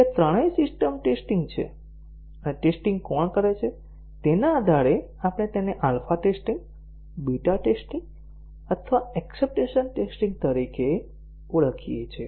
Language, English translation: Gujarati, So, these are all these three are system testing and depending on who carries out the testing, we call it as alpha testing, beta testing or acceptance testing